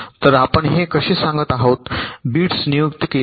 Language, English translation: Marathi, so here we are saying how this bits are assigned